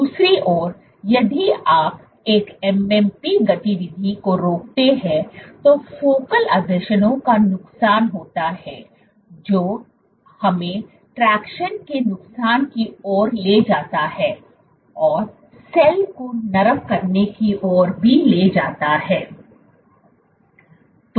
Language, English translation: Hindi, On the other hand, if you inhibit a MMP activity there is loss of focal adhesions, that leads us to loss of tractions, and also leads to cell softening